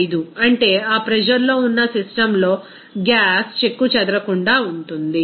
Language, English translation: Telugu, 95 at which is the gas is intact in a system under that pressure